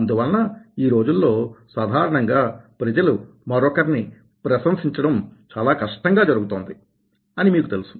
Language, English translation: Telugu, so you know nowadays what happens: that generally people find it very difficult to appreciate others